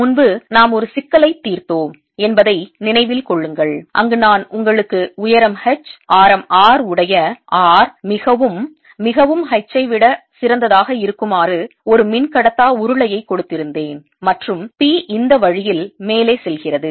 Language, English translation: Tamil, remember, earlier we had solved a problem where i had given you a dielectric cylinder with height h, radius r, r, much, much, much better than h and p going up